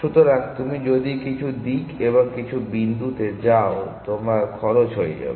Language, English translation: Bengali, So, if you go in some direction and some point your cost will becomes